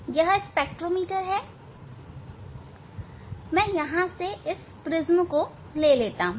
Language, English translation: Hindi, this is the spectrometer; let me take out this prism from here